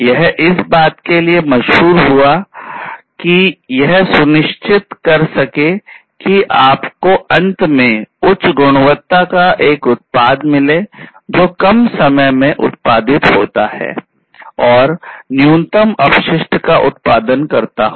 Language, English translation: Hindi, It become very popular to ensure that at the end you have a product which is of high quality produced in reduced time, and is produced, you know, it is high quality, and produced in reduced time, and is produced with minimal wastes